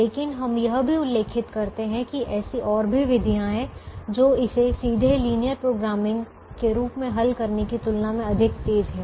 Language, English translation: Hindi, but we also mention that there are methods which are faster and quicker compared to solving it as a linear programming problem directly